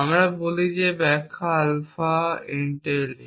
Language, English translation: Bengali, We say that is interpretation entails alpha